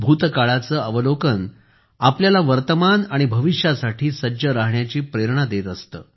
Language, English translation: Marathi, Observation of the past always gives us inspiration for preparations for the present and the future